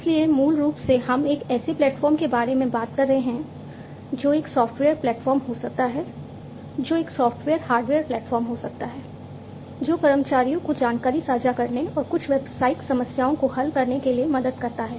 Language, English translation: Hindi, So, basically we are talking about a platform which can be a software platform, which can be a software hardware platform, which helps the in employees to share information and solve certain business problems